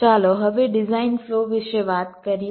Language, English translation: Gujarati, ok, let us now talk about the design flow